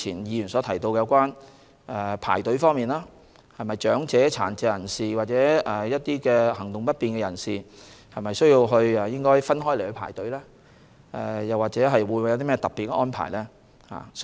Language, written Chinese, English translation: Cantonese, 議員提及排隊問題，質疑為何長者、殘疾和行動不便的人士沒有分開處理，或作其他特別安排。, Members mentioned the issue of queuing questioning why elderly electors and electors with disabilities or mobility difficulties were not processed separately or afforded other special arrangements